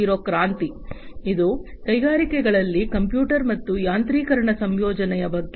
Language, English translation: Kannada, 0 revolution, which was about the incorporation of computers and automation in the industries